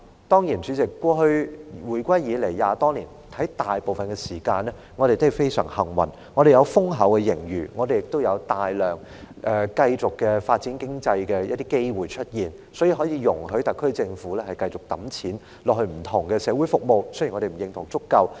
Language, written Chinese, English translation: Cantonese, 當然，代理主席，回歸20多年以來，香港大部分時間都非常幸運，有豐厚的盈餘，亦有大量繼續發展經濟的機會，所以，特區政府可以繼續撥款到不同的社會服務項目。, Undeniably Deputy Chairman over the last two decades and more since the reunification Hong Kong has been very fortunate most of the time to have huge surplus and ample opportunities to carry on its economic development thus enabling the SAR Government to keep funding different social service projects